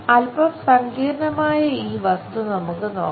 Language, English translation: Malayalam, Let us look at this slightly complicated object